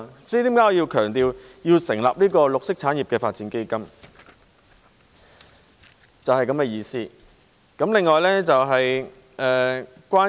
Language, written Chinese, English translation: Cantonese, 這是為何我強調要設立綠色產業發展基金，意思就是這樣。, That is exactly why I have stressed the need to set up a green industries development fund